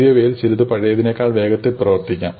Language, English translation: Malayalam, So, ones that are new one may work faster than the ones that are old